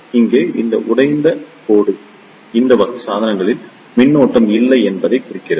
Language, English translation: Tamil, Here, this broken line represents that there is no flow of current in these type of device